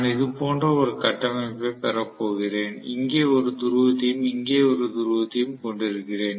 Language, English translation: Tamil, I am going to have essentially a structure like this and I am going to have one pole here, one more pole here